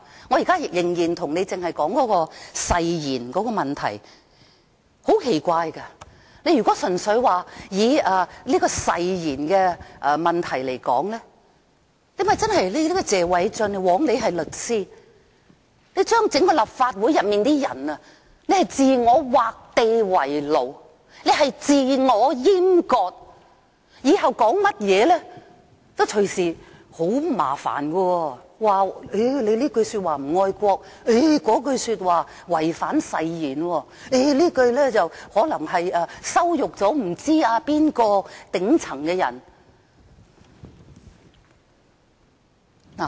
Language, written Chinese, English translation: Cantonese, 我仍然是在說誓言的問題，很奇怪，如果純粹看誓言的問題，謝偉俊議員，枉你是律師，你令整個立法會的議員自我劃地為奴，自我閹割，以後說甚麼都隨時惹麻煩，隨時被指這句說話不愛國，那句說話違反誓言，又或你這樣說可能羞辱某位頂層的人。, Strangely enough if we purely look at the question of oath I must say that Mr Paul TSE is unbecoming of a lawyer . You made all Members of the Legislative Council impose limits on ourselves and castrate our own functions . Whatever we say in future may invite troubles easily and we may be accused any time of being unpatriotic or of breaching the oath in making a certain remark or we will be told that the remarks made by us may amount to hurling insults at a certain person at the top